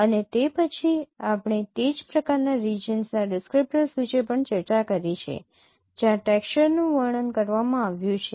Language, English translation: Gujarati, And we discussed also the region and texture descriptors that is another kind of description of related to images